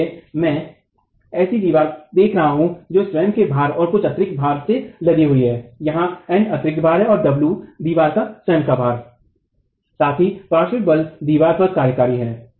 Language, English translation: Hindi, So, I'm looking at a wall which is loaded with the self weight and some superimposed load, N being the superimposed load here and the self weight of the wall, W